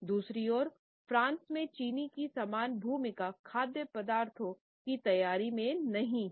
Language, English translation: Hindi, On the other hand in France sugar does not have the similar role in the preparation of food items